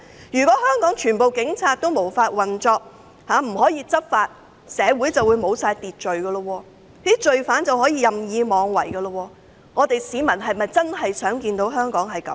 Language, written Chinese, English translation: Cantonese, 如果全部警察無法運作，不能執法，社會便沒有秩序，罪犯可以任意妄為，市民是否真的想看到這種情況？, If all police officers cannot discharge their duties law and order will not be maintained and lawbreakers can act wilfully . Do members of the public really want to see this situation?